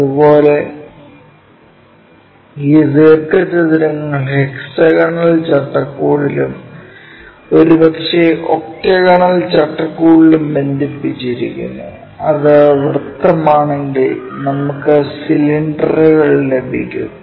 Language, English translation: Malayalam, Similarly, these rectangles connected in hexagonal framework and maybe in octagonal, if it is circle we get cylinders